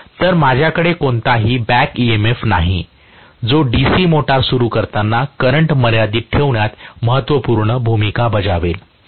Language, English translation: Marathi, So, I do not have any back emf which will play a vital role in limiting the current during starting of a DC motor